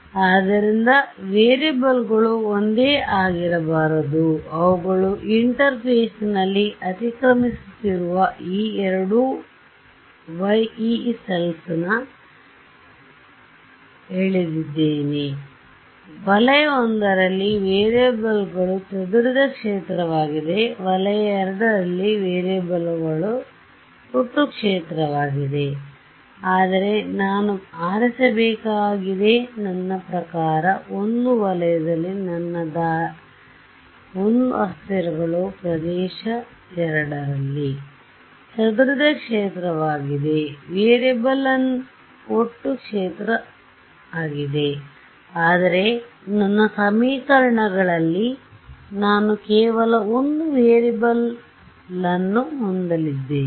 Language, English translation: Kannada, So, that is what the variables cannot be the same right I have drawn these two Yee cells they are overlapping at the interface, but I have to choose right I mean is my way in region I the variables is scattered field in the region II the variable is total field ok, but in my equations I am going to have only one variable right